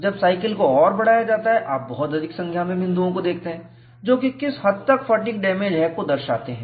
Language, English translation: Hindi, When the cycle is further increased, you see a large number of dots, indicating the extent of fatigue damage